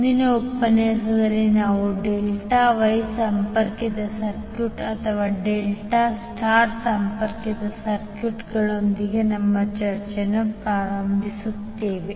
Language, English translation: Kannada, So in the next lecture we will start our discussion with the delta Wye connected circuit or delta star connected circuit